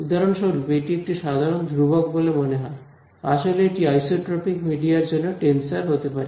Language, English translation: Bengali, For example, this seems to be a simple constant; actually it could be a tensor for an isotropic media